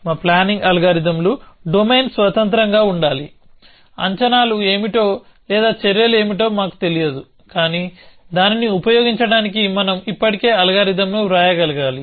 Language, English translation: Telugu, Our planning algorithms have to be domain independent, we do not know what are the predicates or what are the actions, but we should be able to still write an algorithm to use that